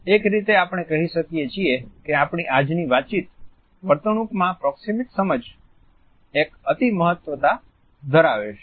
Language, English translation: Gujarati, So, in a way we can say that the proxemic understanding has an over reaching significance in our today’s communicating behavior